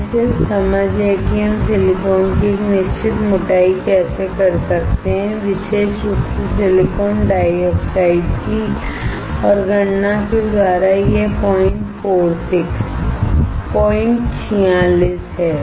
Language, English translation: Hindi, This is just the understanding how we can a certain thickness of silicon, particularly of silicon dioxide and by calculation, it is 0